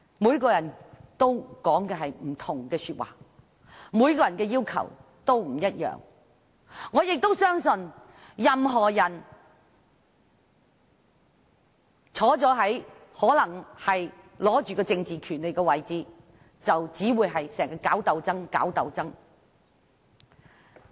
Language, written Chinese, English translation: Cantonese, 每個人說的話都不同，要求都不一樣，我相信任何人位居掌握政治權利的位置，就會經常搞鬥爭。, People will have different views and demands and I believe persons who enjoy certain political rights will tend to engage themselves in frequent political struggles